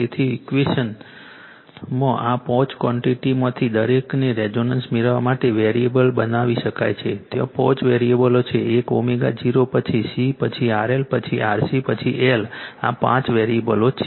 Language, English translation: Gujarati, So, each of this five quantities in equation may be made variably in order to obtain resonance there are five five variables right there are five variables one is omega 0 then C then RL then RC then l